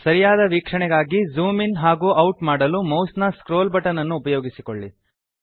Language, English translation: Kannada, To zoom in and out for better view use the scroll button of your mouse